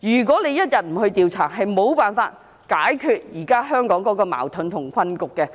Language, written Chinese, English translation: Cantonese, 不進行調查，是無法解決現時香港的矛盾和困局的。, Hong Kongs present conflicts and predicament will remain unsolved without conducting an inquiry